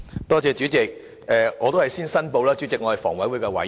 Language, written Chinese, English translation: Cantonese, 代理主席，我先申報我是房委會委員。, Deputy President first I declare that I am a member of HA